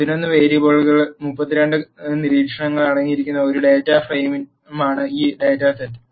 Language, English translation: Malayalam, This data set is a data frame which contains 32 observations on 11 variables